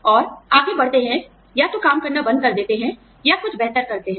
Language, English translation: Hindi, And, move on to, either stop working, or move on to something better